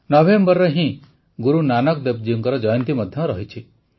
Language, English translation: Odia, It is also the birth anniversary of Guru Nanak Dev Ji in November